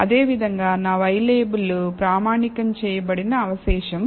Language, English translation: Telugu, Similarly, my y label is standardized residual